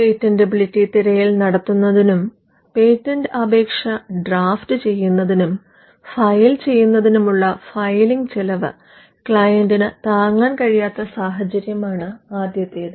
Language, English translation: Malayalam, The first instance is when the client cannot afford both a patentability search, and the filing cost for filing and drafting a patent application